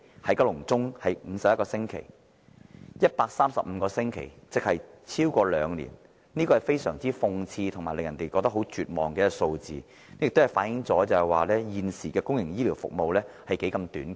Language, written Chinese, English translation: Cantonese, 市民要輪候135個星期，即超過兩年，這是非常諷刺及令人絕望的數字，更反映現時公營醫療服務何其短缺。, In other words some members of the public have to wait 135 weeks or more than two years . This figure is not only ironic but also despondent . What is more it reflects the severe shortages currently in public healthcare services